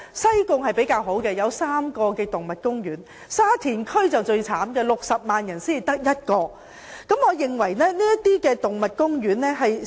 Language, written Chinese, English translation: Cantonese, 西貢區較好，有3個動物公園，沙田區就最可憐，該區有60萬人口但只有1個動物公園。, The situation in Sai Kung is better as there are three animal parks while the situation in Sha Tin is the worst as there are 600 000 people but only one animal park